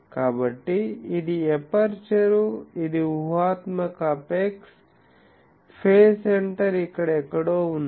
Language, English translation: Telugu, So, this is the aperture, this is the imaginary apex, the phase center is somewhere here